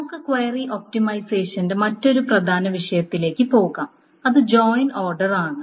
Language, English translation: Malayalam, Fine, so let us then move to another important topic of query optimization, which is the join order